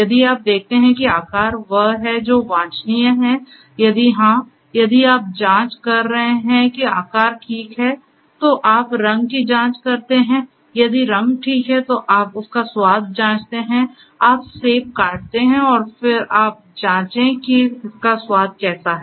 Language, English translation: Hindi, If you know, if you see that the shape is what is desirable, if yes, if you after checking that the shape is, then you check the color, if the color is ok, then you check its taste, you know you bite you have a bite on the apple and then you check how it tastes